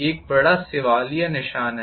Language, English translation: Hindi, That is a big question mark